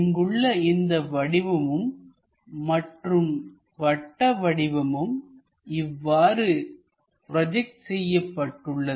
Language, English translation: Tamil, And this object will be projected here and this circle will be projected here